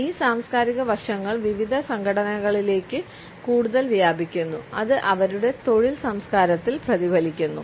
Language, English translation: Malayalam, These cultural aspects percolate further into different organizations and it is reflected in their work culture